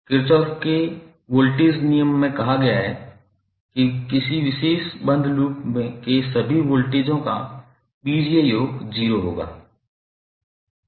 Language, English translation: Hindi, This Kirchhoff’s voltage law states that the algebraic sum of all the voltages around a particular closed loop would be 0